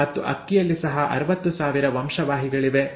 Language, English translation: Kannada, And not just that rice has 60,000 genes